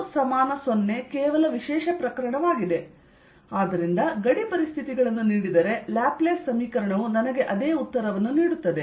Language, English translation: Kannada, and rho equals zero is just special case and therefore laplace equation, also given boundary conditions, gives me the same answer